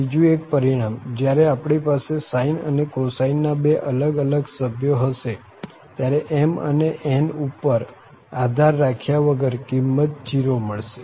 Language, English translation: Gujarati, The another result, when we have these two different members sine and cosine then the value will be 0, irrespective of whatever m and n are